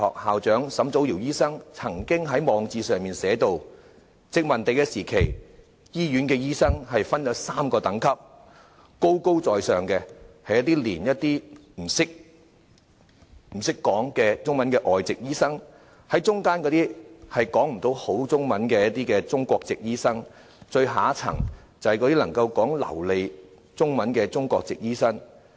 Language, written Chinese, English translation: Cantonese, 香港中文大學校長沈祖堯醫生曾經在網誌上提到，殖民地時期，醫院的醫生分3個等級：最高的是完全不諳中文的外籍醫生；中間的是略懂中文的中國籍醫生，最下層就是能操流利中文的中國籍醫生。, Dr Joseph SUNG Jao - yiu Vice - Chancellor and President of the Chinese University of Hong Kong once recalled in his blog that doctors were classified into three classes during the colonial era at the top were doctors who did not know Chinese at all; in the middle were doctors who knew a little Chinese; and at the lowest class were doctors who spoke fluent Chinese